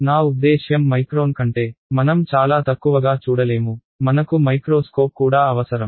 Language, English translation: Telugu, We cannot see much less than I mean micron also we need a microscope right